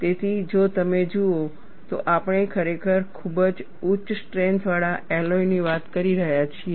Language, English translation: Gujarati, So, if you look at, we are really talking of very high strength alloys